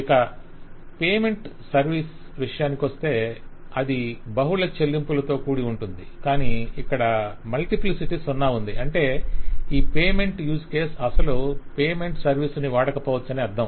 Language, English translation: Telugu, Then payment service: one payment service is associated with multiple payments and here you can note that the multiplicity includes zero, which means that a payment use case may not actually use a payment service